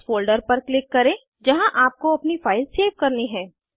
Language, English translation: Hindi, Click on the folder where you want to save your file